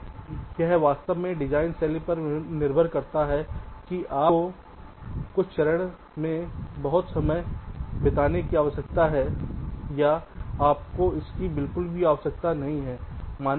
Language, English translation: Hindi, so it really depends on the design style whether you need to spend lot of time in certain steps or you do not need that at all